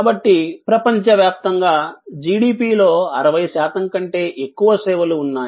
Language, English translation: Telugu, So, services account for more than 60 percent of the GDP worldwide